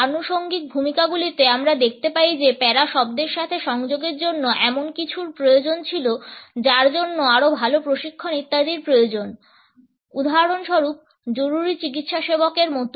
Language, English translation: Bengali, In the ancillary roles we find that the association of the word para required something which needs better training etcetera, for example, as in paramedics